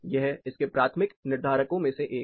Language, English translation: Hindi, That is one of the primary determinants of it